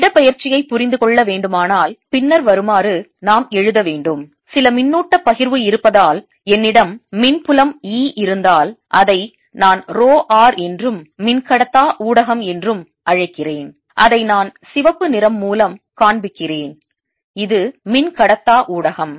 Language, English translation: Tamil, to understand displacement, let us then write that if i have electric field e due to the presence of some charge distribution, which i'll call rho, and a dielectric medium, which i am showing by red, this is the dielectric medium